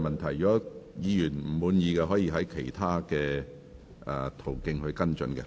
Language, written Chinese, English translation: Cantonese, 如果議員不滿意，可以循其他途徑跟進。, If you are dissatisfied you may follow up through other channels